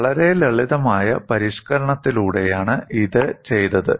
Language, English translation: Malayalam, It was done by a very simple modification